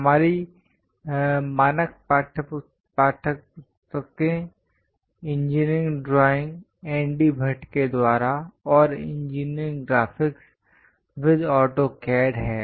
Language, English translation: Hindi, Ours standard textbooks are Engineering Drawing by N D Bhatt and Engineering Graphics with AutoCAD